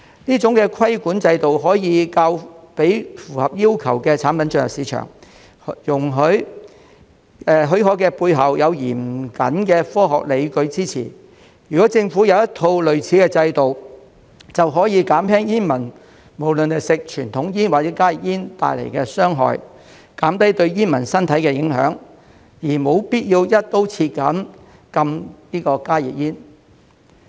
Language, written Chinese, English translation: Cantonese, 這種規管制度可以讓符合要求的產品進入市場，許可的背後有嚴謹的科學論據支持，如果政府有一套類似的制度，便可以減輕煙民無論在吸食傳統煙或加熱煙時受到的傷害，減低對煙民身體的影響，而無必要"一刀切"禁加熱煙。, This regulatory regime allows products meeting the requirements to enter the market and permission is granted with the support of rigorous scientific arguments . If the Government has in place a similar regime it can reduce the harm on smokers in smoking conventional cigarettes or HTPs and also mitigate the health hazards on smokers . It is unnecessary to ban HTPs across the board